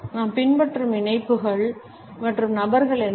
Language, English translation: Tamil, What are the links and people whom we follow